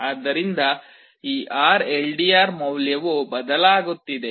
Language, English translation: Kannada, So, this RLDR value is changing